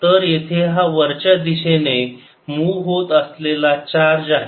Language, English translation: Marathi, so here is the charge moving upwards